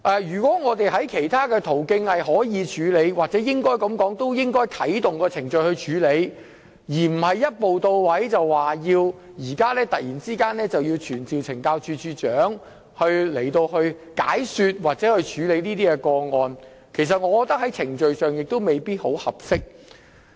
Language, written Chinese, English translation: Cantonese, 如果我們可以循其他途徑處理，又或應該先啟動程序作出處理，那便不應一步到位，突然傳召懲教署署長前來解說或處理有關個案，這在程序上亦未必合適。, If we can handle such cases through other channels or we should first initiate the necessary procedures it would then be undesirable for us to jump to the step of summoning the Commissioner of Correctional Services to attend before the Council to explain or handle the relevant matters . Procedurally speaking it may also not be appropriate for us to do so